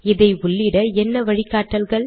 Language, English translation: Tamil, What are the guidelines